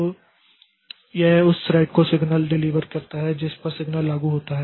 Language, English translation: Hindi, So this is delivered the signal to the thread to which signal applies